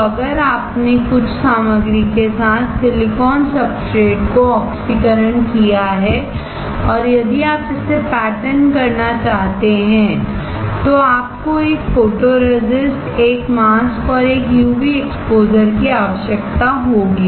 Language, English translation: Hindi, So, if you have oxidised silicon substrate coated with some material and if you want to pattern it you will need a photoresist, a mask, and a UV exposure